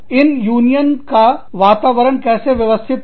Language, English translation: Hindi, How, these local union environments, are organized